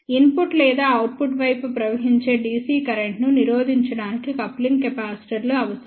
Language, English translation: Telugu, Coupling capacitors are required to block DC current flowing through the input or output side